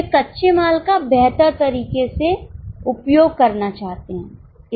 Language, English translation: Hindi, They want to optimally use the raw material